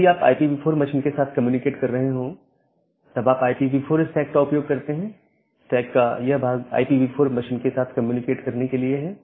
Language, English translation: Hindi, So, if you are communicating with the IPv4 machine, then you use the IPv4 stack, this part of the stack to communicate with the IPv4 machine